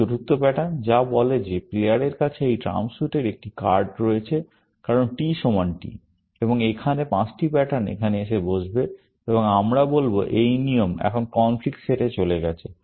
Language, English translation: Bengali, This is the fourth pattern, which says that the player has a card of this trump suit, because T equal to T, and here, all the five patterns will come and sit here, and we will say, this rule is now, gone to the conflict set